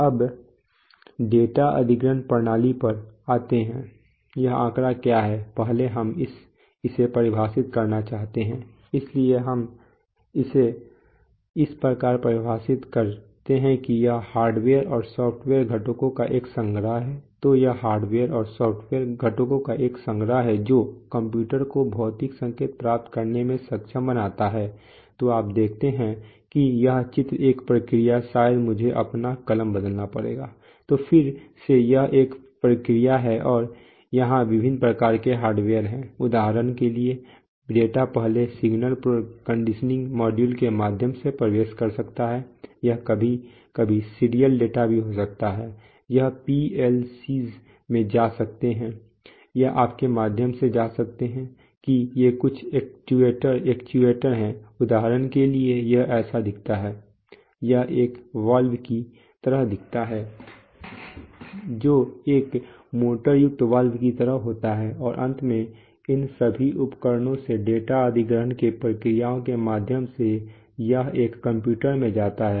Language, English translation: Hindi, so it is a collection of hardware and software components, let me, let me choose, so it is a collection of hardware and software components that enable a computer to receive physical signals, so you see this is what this picture says that this is the process, maybe I have to change my pen, again so this is the process then and there are various, you know hardware, for example data is, may first enter through signal conditioning modules, it may, it may be serial data also sometimes, it may go to go to go to PLCs or it may go through you know these are some actuators, for example this looks like, this looks like a valve something like a motorized valve and finally, so from all these equipment there are through data acquisition processes it actually gets into a, it gets into a computer